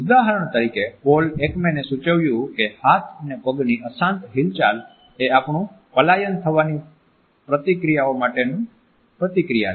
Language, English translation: Gujarati, For example, Paul Ekman has suggested that restless movements of hands and feet are perhaps a throwback to our flight reactions